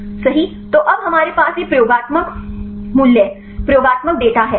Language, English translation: Hindi, So, now we have these experimental values experimental data